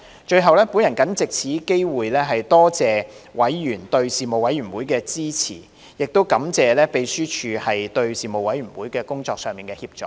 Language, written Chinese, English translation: Cantonese, 最後，我謹藉此機會多謝委員對事務委員會的支持，亦感謝秘書處在事務委員會工作上的協助。, Finally I take this opportunity to thank members for supporting the Panel and appreciate colleagues of the Secretariat for their assistance rendered for the work of the Panel